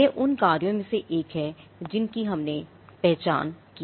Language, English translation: Hindi, This is one of the functions that we identified